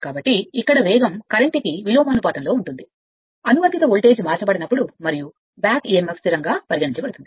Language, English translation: Telugu, So, this speed is actually inversely proportional to the flux, when the applied voltage is not changed and back Emf can be considered constant that means, this equation